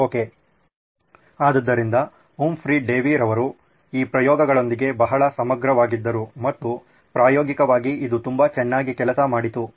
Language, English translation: Kannada, So, Humphry Davy was very thorough with this experiments and in practice it worked very well as well